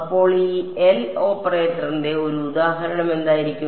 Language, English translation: Malayalam, So, what could be an example of this L operator